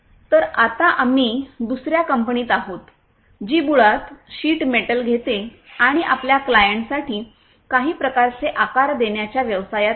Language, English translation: Marathi, So, right now we are in another company which is basically into the business of taking sheet metals and giving it some kind of a shape for its clients